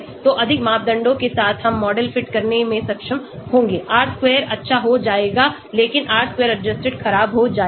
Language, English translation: Hindi, So with more parameters we will be able to fit the model R square will become good but R square adjusted will become bad